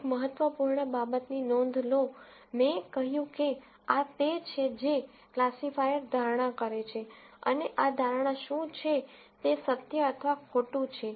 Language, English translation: Gujarati, Notice an important thing, I said this is what the classifier predicts and this is the truth or the falsity of what the prediction is